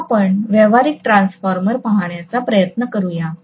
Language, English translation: Marathi, Now, let us try to take a look at a practical transformer